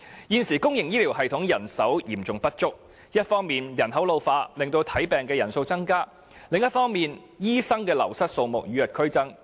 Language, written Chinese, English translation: Cantonese, 現時公營醫療系統人手嚴重不足，一方面人口老化，令求診人數不斷增加；另一方面，醫生的流失數目卻與日俱增。, There is now a serious shortage of manpower in the public health care system and on the one hand the number of patients is ever increasing with an ageing population; while on the other hand the outflow of doctors is ongoing at an increasing rate